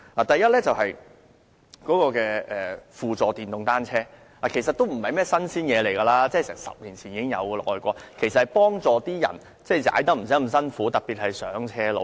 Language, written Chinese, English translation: Cantonese, 第一，輔助電動單車不是新事物，外國早在10年前已有，讓踏單車的人不用太費力，特別是上斜路。, First pedelecs are nothing new . Coming into existence in foreign countries 10 years ago they allow riders to save their energy when riding especially going uphill